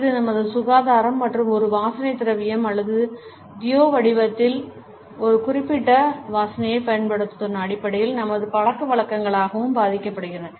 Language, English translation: Tamil, It is also influenced by our habits in terms of our hygiene and the use of a particular smell in the shape of a perfume or deo